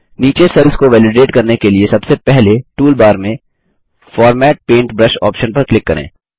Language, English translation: Hindi, To validate the cells below, first click on the Format Paintbrush option on the toolbar